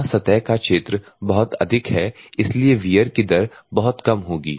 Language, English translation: Hindi, Here the surface area is very high so the wear rate will be very low